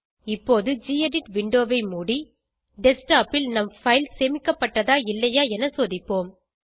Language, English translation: Tamil, Lets close this gedit window now and check whether our file is saved on the Desktopor not